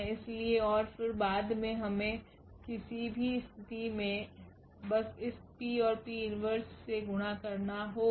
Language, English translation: Hindi, So, and then later on we have to in any case just multiply by this P and the P inverse